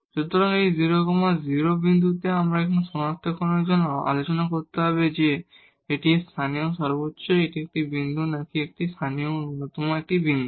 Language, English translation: Bengali, So, at this 0 0 point, we have to now discuss for the identification whether this is a point of local maximum or it is a point of local minimum